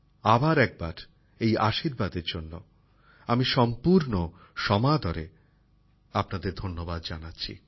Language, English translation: Bengali, I once again thank you all with all due respects for this blessing